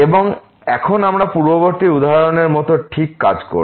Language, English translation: Bengali, And now we will deal exactly as done in the previous example